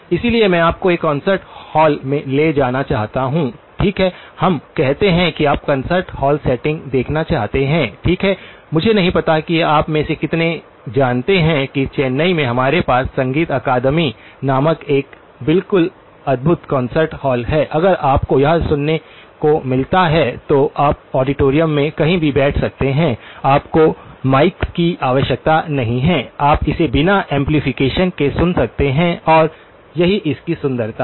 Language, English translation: Hindi, So, I would like to just sort of take you to a concert hall, okay, let us say that you wanted to look at the concert hall setting, okay, I do not know how many of you know that in Chennai we have an absolutely wonderful concert hall called music academy, if you do get to hear it you can sit anywhere in the auditorium, you do not need mics, you can hear it without amplification and that is the beauty of it